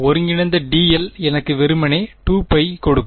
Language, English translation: Tamil, Integral dl will just simply give me 2 pi